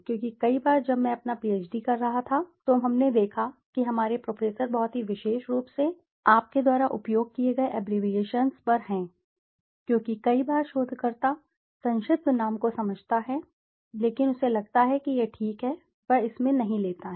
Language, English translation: Hindi, Because many a times when i was doing my PhD we have seen that our professor was very, very particular on the abbreviations you have used because many a times the researcher understands the abbreviation but he feels that it is okay and he doesn't take into account that others might not be able to follow the same thing